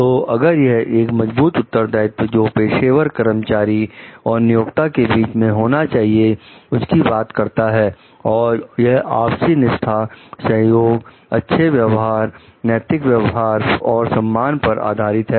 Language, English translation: Hindi, So, it is it tells about the sound relationship between the professional employee and the employer, based on mutual loyalty, cooperation, fair treatment, ethical practices, and respect